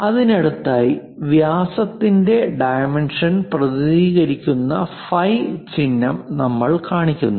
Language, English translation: Malayalam, And next to it, we show the phi symbol diameter represents and the dimensioning that is one way of showing the things